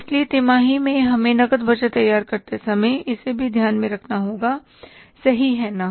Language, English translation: Hindi, So, quarterly, we will have to take this also into account while preparing the cash budget